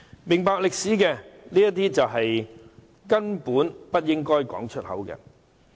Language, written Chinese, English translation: Cantonese, 明白歷史的人根本不應把這些言詞說出口。, Anyone who understands history should not have uttered such a word at all